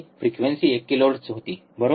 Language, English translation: Marathi, Frequency was one kilohertz, correct